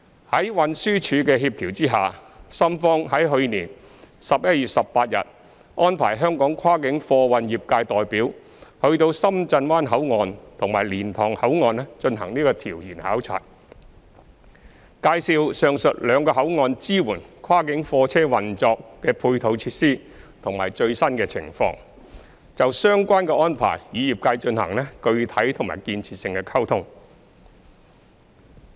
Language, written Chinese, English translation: Cantonese, 在運輸署協調下，深方於去年11月18日安排香港跨境貨運業界代表到深圳灣口岸及蓮塘口岸進行調研考察，介紹上述兩個口岸支援跨境貨車運作的配套設施的最新情況，並就相關安排與業界進行具體及建設性的溝通。, With TDs coordination the Shenzhen side arranged an inspection trip for representatives of Hong Kongs cross - boundary cargo industry at Shenzhen Bay Port and Liantang Port on 18 November last year and briefed them on the latest auxiliary facilities at the two ports as support for the operation of cross - boundary goods vehicles . It will engage in specific and constructive communication with the industry on the arrangements concerned